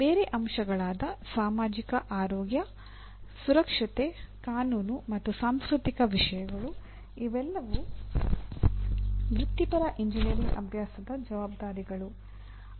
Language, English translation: Kannada, And we have other elements like societal health, safety, legal and cultural issues and the responsibilities are to the professional engineering practice